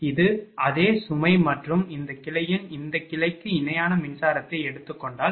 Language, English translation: Tamil, This is the load same and if you take electrical of electrical equivalent of this branch of this branch